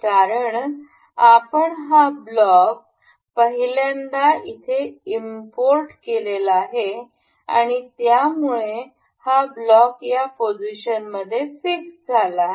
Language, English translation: Marathi, This is because we have imported this block in the very first time in the very first time and this makes us this makes this block fixed in the position